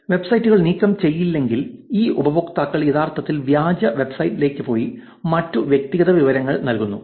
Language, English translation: Malayalam, If the websites are not taken down unfortunately these users just actually end up actually going to the fake website and giving away other personal information right